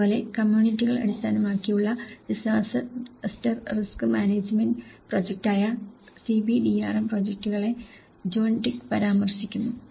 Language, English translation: Malayalam, Similarly, John Twigg also refers to the CBDRM projects, which is the communities based disaster risk management projects